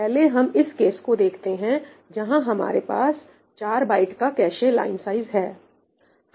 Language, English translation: Hindi, First, let us look at this case, where I have 4 byte cache line size